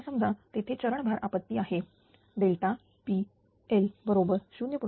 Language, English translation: Marathi, Now let there is a step load disturbance delta P L is equal to 0